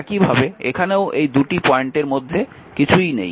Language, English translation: Bengali, Similarly, here also nothing is there in between these 2 point, here also nothing is there